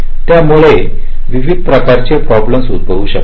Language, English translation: Marathi, various kinds of problems may may arise because of this